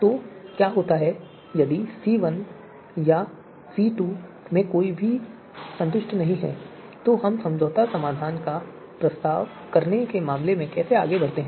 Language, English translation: Hindi, So what happens if either of C1 or C2 is not satisfied then how do we go ahead in terms of proposing the compromise solution